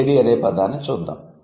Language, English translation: Telugu, Let's look at the word lady